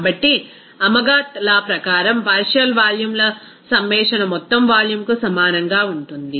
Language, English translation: Telugu, So, as per Amagat’s law the summation of partial volumes will be equal to the total volume